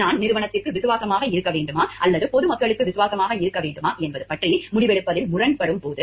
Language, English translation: Tamil, And like when it comes to the deciding conflicting about the whether I should be loyal to the organization or I should be loyal to the public at large